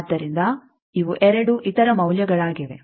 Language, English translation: Kannada, So, these are the 2 other values